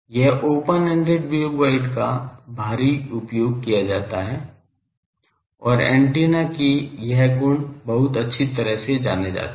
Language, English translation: Hindi, It is heavily used this open ended waveguide and it is antenna properties are very well known